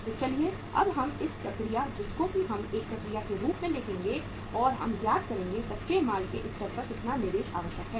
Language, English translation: Hindi, So let us now work out the uh say this process we will follow a process and we will work out that how much investment is required at the raw material stage